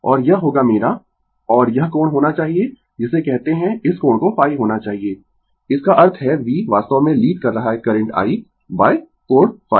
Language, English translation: Hindi, And it will be my I, and this angle should be your what you call this angle should be phi right; that means, v actually leading the current I by angle phi